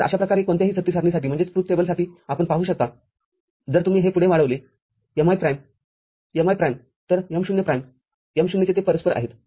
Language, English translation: Marathi, So, we can see for any such truth table, if you just extend it that mi prime mi prime; so, m0 prinme M0, they correspond